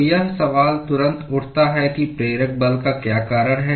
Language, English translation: Hindi, So, the question immediately arises as to what causes the driving force